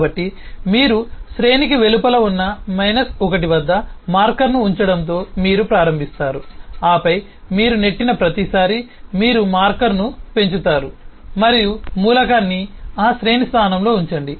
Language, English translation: Telugu, so what you simply do: you start with a marker being placed at minus 1, which is outside of the array, and then every time you push, you increment the marker and put the element in that array location